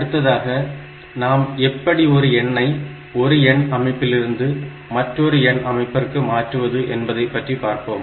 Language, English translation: Tamil, So, let us next consider how to convert one number, a number from one number system to another number system